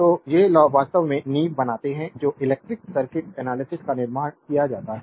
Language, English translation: Hindi, So, these laws actually form the foundation upon which the electric circuit analysis is built